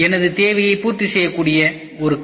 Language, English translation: Tamil, I would like to have a car which could fulfil my requirement